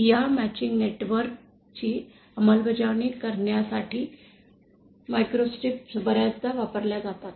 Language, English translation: Marathi, Microstrips are often used for implementing these matching networks